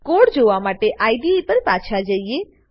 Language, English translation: Gujarati, Switch back to IDE to see the code